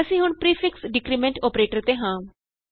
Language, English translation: Punjabi, We now have the prefix decrement operator